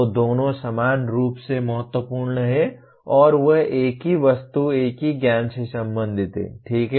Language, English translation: Hindi, So both are equally important and they are related to the same object, same knowledge, okay